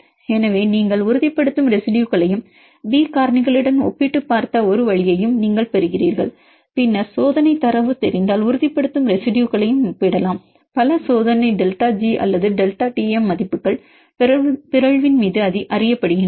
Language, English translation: Tamil, So, you obtain the stabilizing residues and one way we compared with the B factors then we can also compare the stabilizing residues if the experimental data are known, use several experimental delta G or delta Tm values are known upon mutation